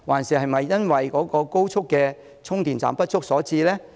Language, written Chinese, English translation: Cantonese, 是否高速充電站不足所致？, Is it due to a lack of fast charging stations?